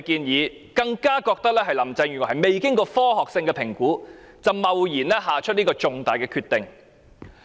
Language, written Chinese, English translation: Cantonese, 市民更加認為，林鄭月娥未經科學性評估，便貿然作出這個重大決定。, People even think that Carrie LAM has rashly made such an important decision without conducting scientific assessment